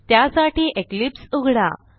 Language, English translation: Marathi, For that let us open Eclipse